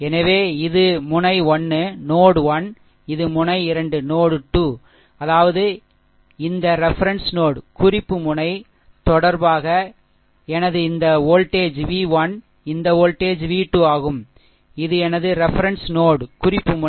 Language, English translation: Tamil, So, this is my node 1, this is my node 2; that means, my this voltage is v 1 this voltage v 2 with respect to this reference node, this is my reference node